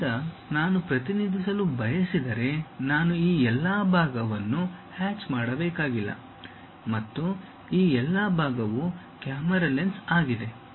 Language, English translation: Kannada, Now, if I want to really represent, I do not have to just hatch all this part and all this part is a camera lens